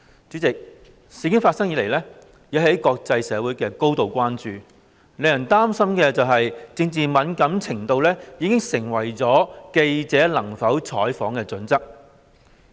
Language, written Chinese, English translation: Cantonese, 主席，事件發生以來，引起國際社會高度關注，令人擔心政治敏感程度已經成為記者能否採訪的準則。, President the incident has caused grave international concerns and made people worry that political sensitivity may have become the guiding principle for a journalists reporting criterion